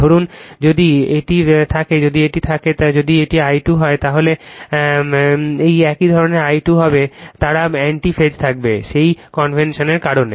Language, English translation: Bengali, Suppose if it is there if this is my if this is my I 2 dash then your what you call then this one this one will be my I 2 they will be in anti phase, right because of thatconvention